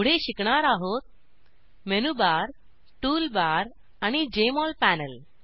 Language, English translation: Marathi, We will learn about Menu Bar, Tool bar, and Jmol panel